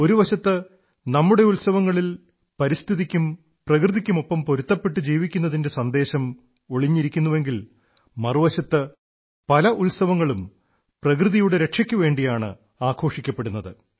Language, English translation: Malayalam, On the one hand, our festivals implicitly convey the message of coexistence with the environment and nature; on the other, many festivals are celebrated precisely for protecting nature